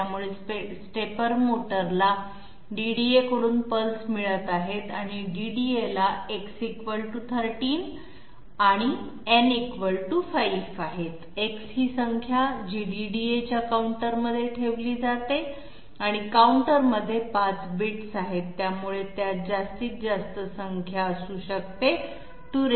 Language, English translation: Marathi, So the stepper motor is receiving pulses from a DDA and the DDA has X = 13 and n = 5, X is the number which is put inside the counter of the DDA and the counter has 5 bits, so the maximum number it can contain is 2 to the power 5 1